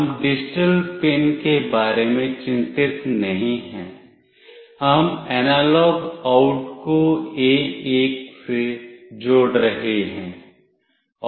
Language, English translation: Hindi, We are not concerned about the digital pin, we are connecting the analog out to A1